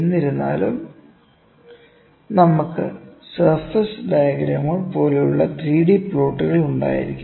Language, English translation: Malayalam, However, we can also have 3 D plots like surface diagrams, ok